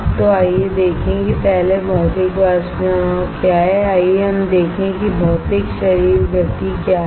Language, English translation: Hindi, So, let us see what is first Physical Vapor Deposition alright let us see what is physical body motion